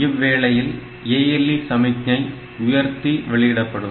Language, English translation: Tamil, So, accordingly it can raise the ALE signal